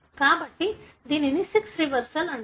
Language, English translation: Telugu, So, it is called as sex reversal